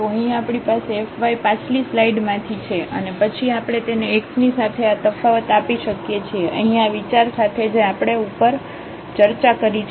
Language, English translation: Gujarati, So, here we have the f y from the previous slide and then we can differentiate this with respect to x, here with the idea which we have just discussed above